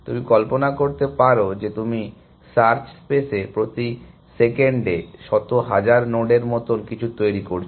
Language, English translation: Bengali, You can imagine if you are generating something like hundred thousand nodes a second in the search space